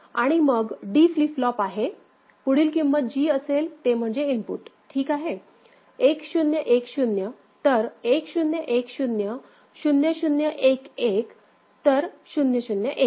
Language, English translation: Marathi, And then D flip flop is whatever is the next value that is the input ok, 1 0 1 0 so, 1 0 1 0 0 0 1 1 so, 0 0 1 1